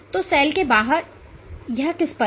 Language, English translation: Hindi, So, outside the cell it is also on what